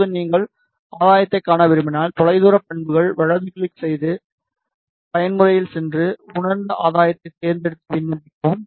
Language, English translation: Tamil, Now, if you want to see the gain, you can right click far field properties go to plot mode select realized gain and then apply